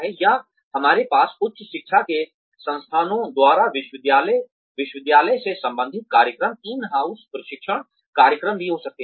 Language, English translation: Hindi, Or, we could also have, university related programs, in house training programs, by institutes of higher education